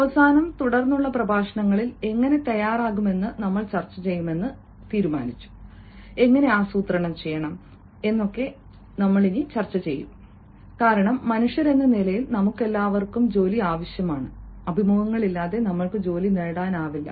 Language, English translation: Malayalam, and, towards the end, we had decided that in the lectures to follow, we shall be discussing how to prepare, how to plan, because, as humans, all of us need jobs and we cannot get jobs without interviews